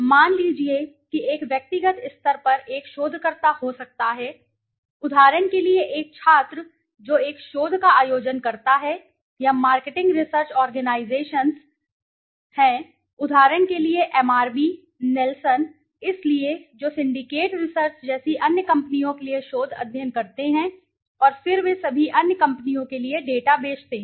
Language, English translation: Hindi, Suppose there could be a researcher on a personal level, for example a student conducting a research or there are marketing research organizations, for example MRB, Nelson, so which conduct research studies for other companies like syndicate research, and then they sell all this data to other companies